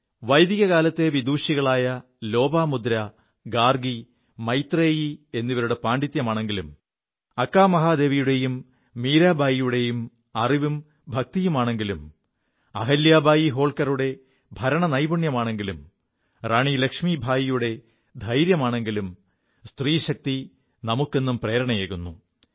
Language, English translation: Malayalam, Lopamudra, Gargi, Maitreyee; be it the learning & devotion of Akka Mahadevi or Meerabai, be it the governance of Ahilyabai Holkar or the valour of Rani Lakshmibai, woman power has always inspired us